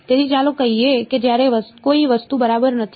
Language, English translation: Gujarati, So, let us say when there is no object ok